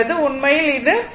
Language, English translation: Tamil, It will be 1